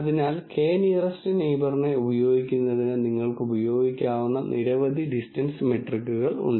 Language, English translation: Malayalam, So, there are several distance metrics that you could use to basically use k nearest neighbor